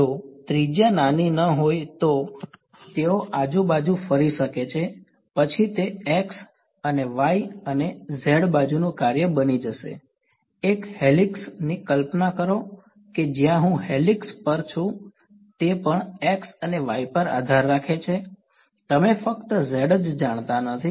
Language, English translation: Gujarati, If the radius is not small then they could small around, then they it will become a function of x and y and z right, imagine a helix right where I am on the helix also depends on x and y you know not just purely z